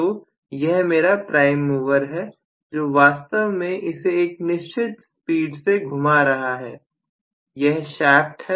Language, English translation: Hindi, So, this is going to be my prime mover which is actually rotating this at a speed, so this is my shaft